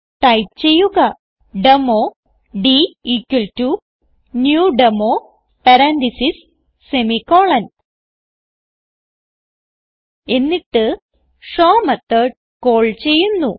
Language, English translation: Malayalam, So type Demo d=new Demo parentheses, semicolon Then call the method show